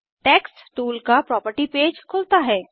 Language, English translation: Hindi, Text tools property page opens